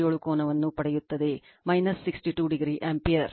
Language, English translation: Kannada, 57 angle minus 62 degree ampere